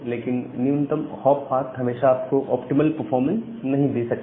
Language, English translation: Hindi, But minimum hop path may not be always give you the optimal performance